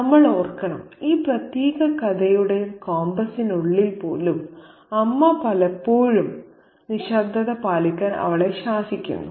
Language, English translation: Malayalam, And we need to remember even within the compass of this particular story, the mother often tries her to keep quiet